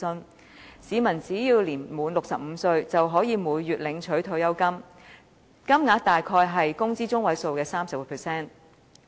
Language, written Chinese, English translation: Cantonese, 根據該計劃，市民只要年滿65歲，便可以每月領取退休金，金額大約是工資中位數的 30%。, Under OPS any person who reached the age of 65 was eligible to receive a monthly pension amounting to some 30 % of the median wage